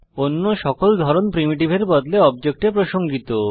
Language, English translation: Bengali, All other types refer to objects rather than primitives